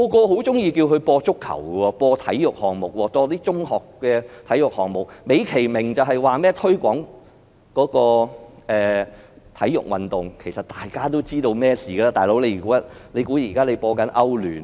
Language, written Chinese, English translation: Cantonese, 很多人都喜歡港台播放足球和中學體育項目，美其名是推廣體育運動，其實大家都知道發生了甚麼事情，他們以為現在是播放歐洲聯賽嗎？, Many people would like RTHK to broadcast football matches and sports events of secondary schools in the name of sports promotion . In fact everyone knows what has happened do they think the European League is now being broadcast?